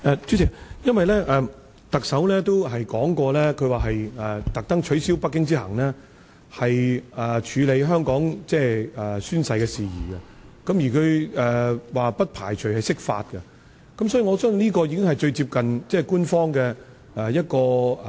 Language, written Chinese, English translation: Cantonese, 主席，特首也表示刻意取消北京之行來處理香港宣誓的事宜，而他說不排除釋法，所以，我相信這可能是最接近官方想法的一種做法。, President the Chief Executive also said that he had deliberately cancelled his trip to Beijing in order to handle the oath - taking issue in Hong Kong and that he did not rule out the possibility of an interpretation of the Basic Law . I thus think that his arrangement may be most indicative of the thinking of the authorities